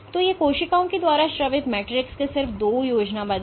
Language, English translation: Hindi, So, these are just two schematics of the matrix secreted by the cells